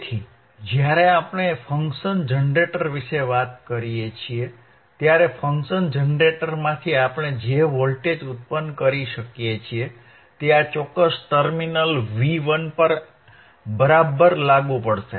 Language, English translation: Gujarati, So, when we talk about function generator, right in front of function generator the voltage that we are generating from the function generator will apply at this particular terminal V 1 alright